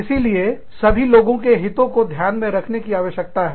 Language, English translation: Hindi, We need to take, everybody's interests, into account